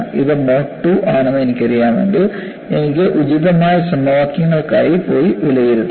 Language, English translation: Malayalam, If I know it is the mode 2, I can go for appropriate equations and evaluate